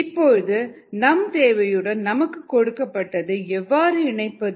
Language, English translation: Tamil, now how to connect what is needed to what is given